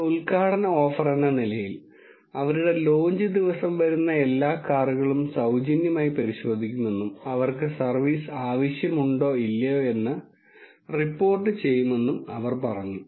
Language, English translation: Malayalam, As an inaugural offer, what they have done is, they claim to freely check all the cars that arrive on their launch day and they said they will report whether they need servicing or not